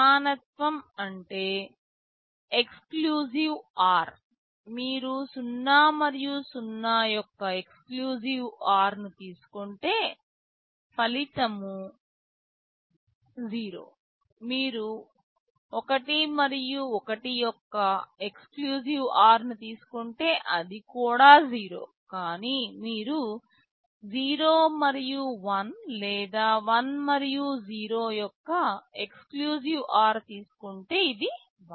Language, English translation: Telugu, Equality means exclusive or; if you take the exclusive OR of 0 and 0 the result is 0, if you take exclusive OR of 1 and 1, that is also 0, but if you take exclusive OR of 0 and 1 or 1 and 0, this is 1